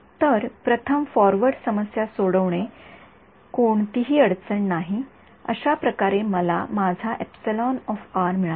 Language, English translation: Marathi, So, first solving the forward problem no problem, that is how I got my E r right